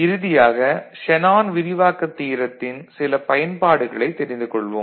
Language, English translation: Tamil, So, finally, we look at some of the use of you know, Shanon’s expansion theorem